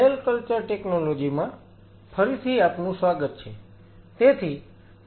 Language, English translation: Gujarati, Welcome come back to the Cell Culture Technology